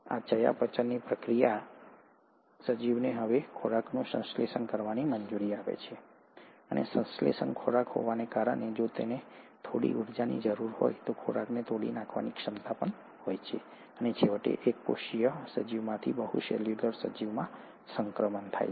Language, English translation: Gujarati, These metabolic reactions to allow an organism to now synthesize food, and having synthesized food, also have the ability to break down the food if it needs to have some energy, and eventually transition from a single celled organism to a multi cellular organism